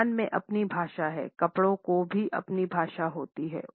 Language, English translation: Hindi, Accessories have their own language; fabrics also have their own language